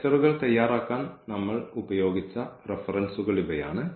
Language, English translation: Malayalam, So, these are the references we have used to prepare these lectures and